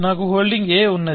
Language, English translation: Telugu, So, I am holding a